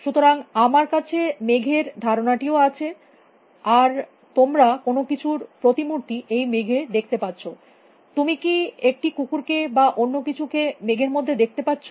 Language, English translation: Bengali, So, I also have concepts about clouds and you see an image of something in the clouds; you see a dog in the clouds or you know something else